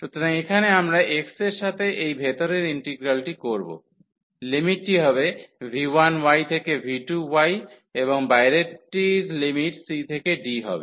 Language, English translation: Bengali, So, here we will have this integral the inner one with respect to x, the limits will be v 1 y to v 2 y and the outer 1 will have the limits from c to d